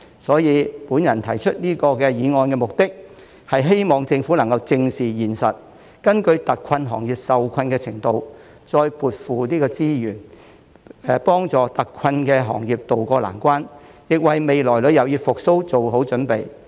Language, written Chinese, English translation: Cantonese, 所以，我提出這項議案的目的，是希望政府正視現實，根據特困行業受困的程度，再增撥資源，幫助特困行業渡過難關，亦為未來旅遊業復蘇做好準備。, Therefore I have proposed my motion for the purpose of urging the Government to face up to the reality and according to the extent to which the industries have been hit allocate more resources to help hard - hit industries to tide over their difficulties and prepare for the coming recovery of the tourism industry